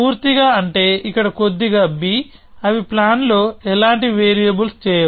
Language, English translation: Telugu, Complete; that means a slight b here; they do not any variables in the plan